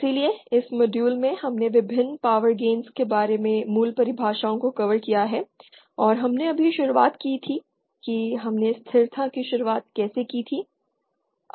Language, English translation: Hindi, So in this module we covered the basic definitions about the various power gains and also we just introduced we just discussed the beginning of stability